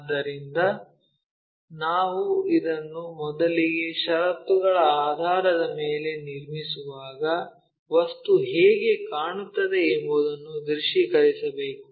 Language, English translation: Kannada, So, when we are constructing this first of all based on the conditions, we have to visualize how the object might be looking